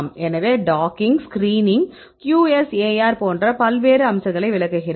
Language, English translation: Tamil, So, there are various aspects like docking, screening, QSAR, I will explain the details